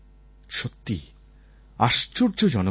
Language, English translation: Bengali, He was an amazing kid